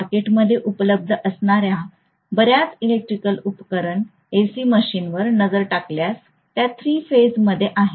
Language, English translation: Marathi, So if you look at many of the electrical machines that are available in the market, AC machines, they are all three phase in nature